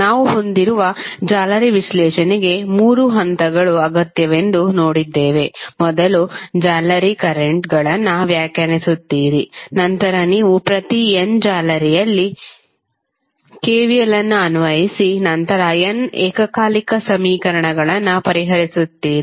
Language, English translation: Kannada, And we saw that the three steps are required for the mesh analysis we have you will first define the mesh currents then you apply KVL at each of the n mesh and then solve the n simultaneous equations